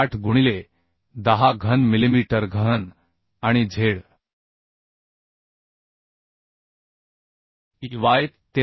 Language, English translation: Marathi, 8 into 10 cube millimetre cube and Zey 13